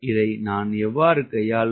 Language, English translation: Tamil, how to handle this